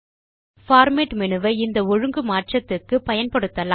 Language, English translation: Tamil, We can use the Format menu at the top for making various format changes